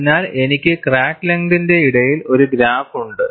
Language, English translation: Malayalam, So, I have a graph between crack length and I have the stress here